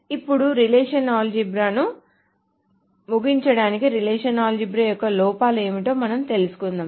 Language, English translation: Telugu, Now, just to wrap up the relational algebra thing, we need to talk about what are the drawbacks of relational algebra